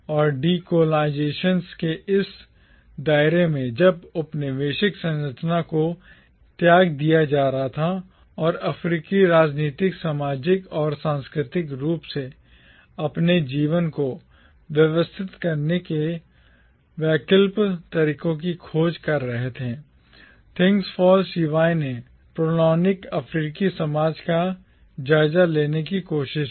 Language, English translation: Hindi, And in this milieu of decolonisation, when the Colonial structure was being discarded and Africans were searching for alternative ways of politically, socially, and culturally organising their lives, Things Fall Apart tried to take stock of the precolonial African society